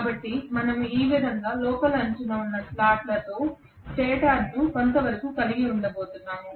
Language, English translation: Telugu, So we are going to have the stator somewhat like this with slots in the inner periphery like this